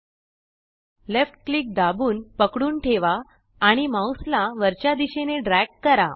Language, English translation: Marathi, Hold left click and drag your mouse to the right